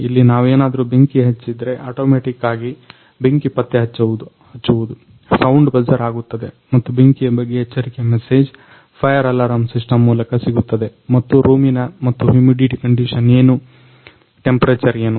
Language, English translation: Kannada, Here we if burn flame then automatically detect the fire, then also buzzer sounded and also get a alert message through a fire alarm system the here is a fire break out and what is the condition of the room and humidity what is temperature